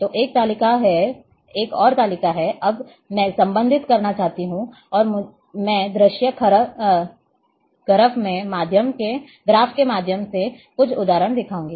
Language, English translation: Hindi, So, there is a one table there is another table, now I want to relate and I will be showing through view graph some example as well